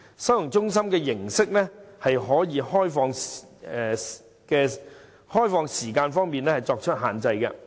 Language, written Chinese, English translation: Cantonese, 收容中心的形式，可以在開放時間方面作出限制。, As to the mode of the holding centre we may impose limits on the hours of operation of the holding centre